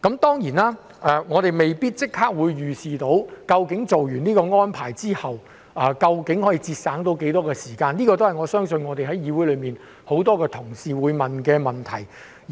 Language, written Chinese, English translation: Cantonese, 當然，我們未必能夠立刻預視落實這項安排之後，究竟可以節省多少時間，我相信這也是議會內很多同事會提出的問題。, Of course we may not be able to predict immediately how much time can be saved after this arrangement is put in place and I believe this is also a question that many colleagues in the Council will ask